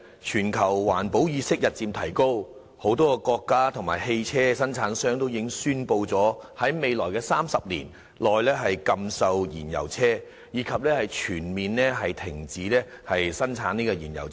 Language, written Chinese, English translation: Cantonese, 全球環保意識日漸提高，多個國家及汽車生產商已宣布在未來30年內禁售燃油車，以及全面停止生產燃油車。, The global awareness of environmental protection has been rising and a number of countries and vehicle manufacturers have announced the prohibition of sale of fuel - engined vehicles as well as the complete cessation of the production of fuel - engined vehicles in the next 30 years